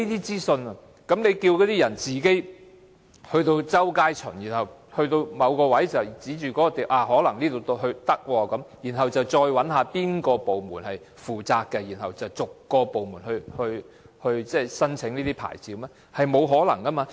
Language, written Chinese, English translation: Cantonese, 政府只叫市民自己在街上周圍巡看，當看到某個可能適合的位置後，又要找出是哪個部門負責，再逐個部門申請牌照，這是沒有可能的。, The Government has only told the public to scout around the streets and when a certain place is found to be potentially suitable one has to find out the departments responsible for it and then apply for a licence from each of such departments . This is just impossible